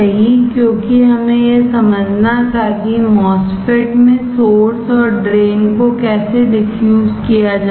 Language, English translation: Hindi, Because we had to understand how source and drain are diffused in the MOSFET